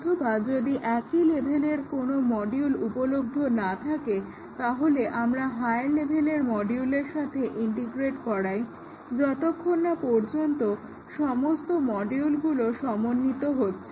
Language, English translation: Bengali, And then integrate it with one module, which is at the same level or there are no modules available in the same level, we integrate with the module in the higher level and so on until all the modules are integrated